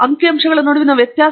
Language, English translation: Kannada, What is a difference between them